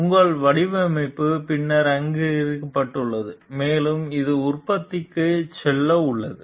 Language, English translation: Tamil, Your design is then approved and it is about to go to production